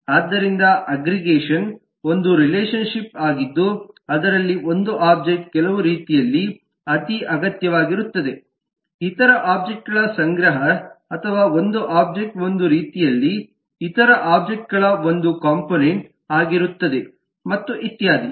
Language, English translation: Kannada, so the aggregation is a relationship where one object, necessary in some way, is a collection of other objects, or one object is a some way a component of other objects and so on